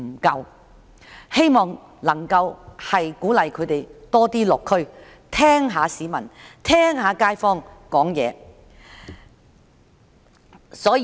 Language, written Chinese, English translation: Cantonese, 我希望政府能鼓勵他們多落區聽街坊表達意見。, I hope that the Government will encourage government officials to pay more district visits to listen to the views of kaifongs